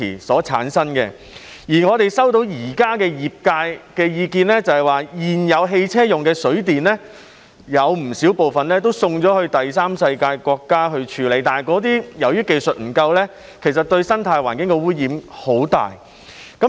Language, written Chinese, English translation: Cantonese, 我們現時收到業界的意見反映，指現時汽車用的"水電"有不少部分會送到第三世界國家處理，但由於當地技術不足，對生態環境造成很大污染。, We have received views from the industries that at present a considerable amount of water and batteries of vehicles are sent to Third World countries for disposal causing serious pollution to the ecological environment as a result of a lack of technology in these countries